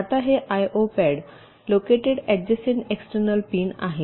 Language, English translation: Marathi, now this i o pads are located adjacent to the external pins